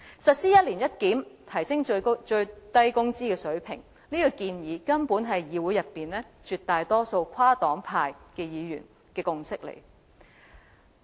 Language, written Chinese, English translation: Cantonese, 實施一年一檢，提升最低工資水平，這個建議根本是議會內絕大多數跨黨派議員的共識。, Indeed an overwhelming majority of Members from different political parties and groupings in this Council have come to a consensus on the proposal for implementing an annual review in increasing the minimum wage rate